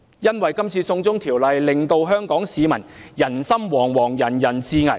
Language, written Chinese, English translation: Cantonese, 這次"送中條例"令香港市民人心惶惶、人人自危。, The China extradition law has aroused widespread panic and people are driven into great fear